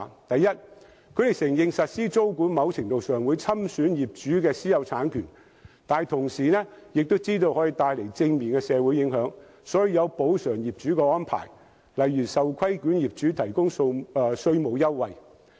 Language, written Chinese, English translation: Cantonese, 第一，德國承認實施租管在某程度上會侵損業主的私有產權，但亦知道可以帶來正面的社會影響，所以會作出補償業主的安排，例如為受規管業主提供稅務優惠。, Firstly Germany acknowledges that the implementation of tenancy control will to a certain extent encroach on the private property rights of the owners . But it also recognizes the positive social benefits brought by tenancy control . Hence for properties subject to tenancy control the owners will be provided with certain compensation say in the form of tax concessions